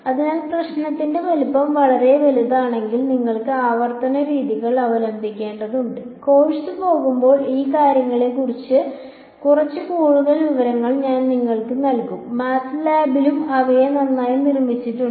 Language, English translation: Malayalam, So, if the problem size is very very large you need to resort to iterative methods and as the course goes I will give you little bit more information on these things, MATLAB also has these things in built alright